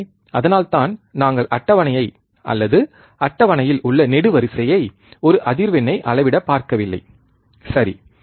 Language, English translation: Tamil, So, that is why we are not looking at the table or a column in the table to measure the frequency, alright